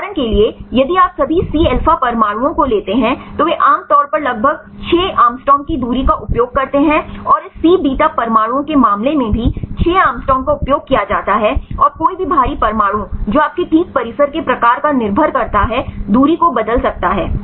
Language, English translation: Hindi, For example, if you take the C alpha atoms right now generally they use the distance of about 6 angstrom and the case of this C beta atoms here also 6 angstrom is used, and any heavy atoms that depends upon the type of the complex right you can change the distance right